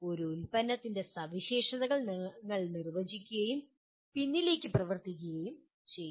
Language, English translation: Malayalam, You define what a product specifications and work backwards